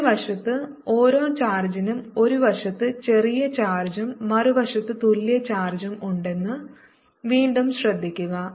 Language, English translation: Malayalam, notice that for each positive charge here there is a charge on the opposite side